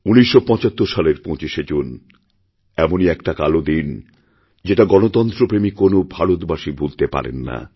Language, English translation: Bengali, 1975 25th June it was a dark night that no devotee of democracy can ever forget